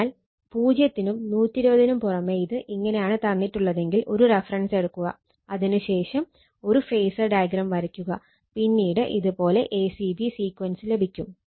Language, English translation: Malayalam, This is whenever apart from zero 120 if it is given like this, you take a reference you take a reference, after that you please draw the phasor diagram, then you will get it this is a c b sequence